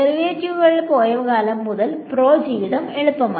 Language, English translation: Malayalam, Since the time derivatives have gone, my pro life has become easier